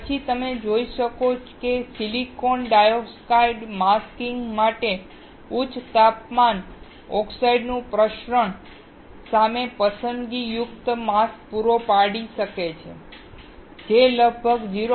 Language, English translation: Gujarati, You can then see silicon dioxide can provide a selective mask against diffusion at high temperature oxides for masking which is about 0